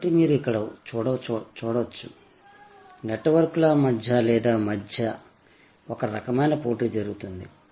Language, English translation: Telugu, So, you can see here, there is a kind of a emerging battle between or among networks